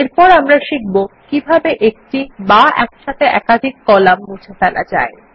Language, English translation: Bengali, Now lets learn how to delete multiple columns or rows at the same time